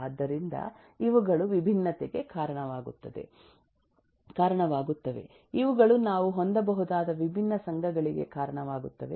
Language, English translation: Kannada, so these will lead to different, these will lead to different associations that, eh, we can have